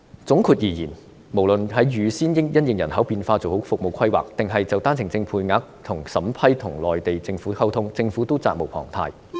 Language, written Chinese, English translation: Cantonese, 總括而言，無論是預先因應人口變化做好服務規劃，還是就單程證的配額和審批跟內地政府溝通，政府也是責無旁貸的。, In sum no matter whether it is in prior planning of its services to cope with population changes or in communication with the Mainland Government in respect of the OWP quota and vetting and approval of OWP applications the Government must bear the responsibility